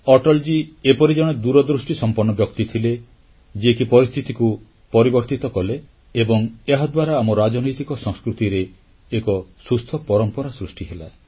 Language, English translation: Odia, It could only be a visionary like Atalji who brought in this transformation and as a result of this, healthy traditions blossomed in our polity